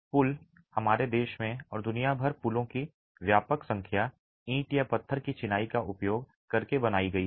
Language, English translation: Hindi, Bridges, extensive number of bridges in and around our country all over the world are built in, are built using brick or stone masonry